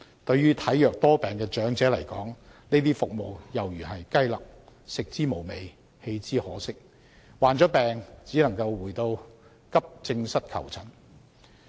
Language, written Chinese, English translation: Cantonese, 對於體弱多病的長者來說，這些服務猶如雞肋，食之無味，棄之可惜，患病只能回到急症室求診。, To frail elderly people such services are like chicken ribs―not good enough to get excited over but not bad enough to forego without regret . If they fall ill they can only turn back to accident and emergency departments for medical consultation